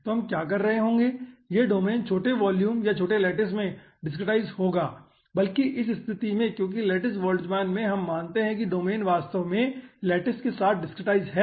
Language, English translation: Hindi, so what we will be doing, this domain will be discretizing in small aah, aah volumes or small lattices rather, in this case, because in lattice boltzmann we consider that the domain is actually dicretized with lattices